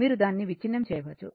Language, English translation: Telugu, You can break it